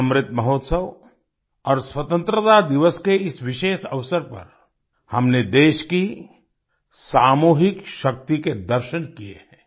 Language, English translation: Hindi, On this special occasion of Amrit Mahotsav and Independence Day, we have seen the collective might of the country